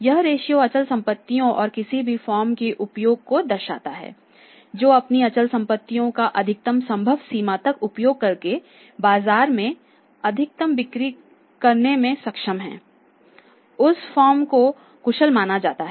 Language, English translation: Hindi, This ratio indicates the use of the fixed assets and any firm which is able to maximize sales in the market by utilising its fixed assets to the maximum possible extent that firm is considered as efficient